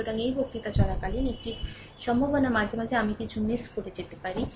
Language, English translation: Bengali, So, during um this lecture, there is a p possibility occasionally I also may miss something